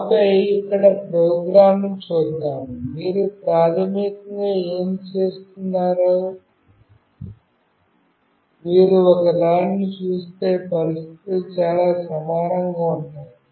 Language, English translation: Telugu, And then let us see the program here, what we are doing basically that the conditions would be pretty same, if you see one